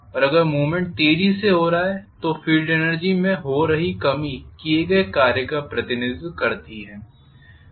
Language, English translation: Hindi, And if the movement is taking place fast then the reduction taking place in the field energy that represents the work done